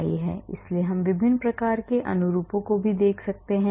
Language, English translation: Hindi, So, we can look at large different types of conformations also